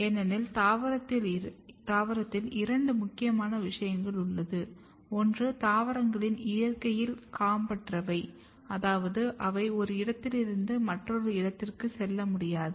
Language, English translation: Tamil, Because in plant, there are two important thing, one is that plants are sessile in nature, which means that they cannot move from one place to another place